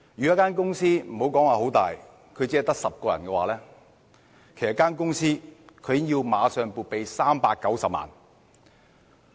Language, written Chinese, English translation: Cantonese, 一間規模不大、只有10名僱員的公司，已經立即要撥備390萬元。, It means that a company not large in scale with a mere 10 employees has to immediately set aside 3.9 million for these payments